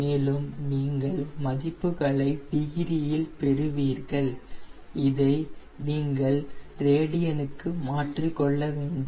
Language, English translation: Tamil, their ah you will be getting in degrees you have to convert into radian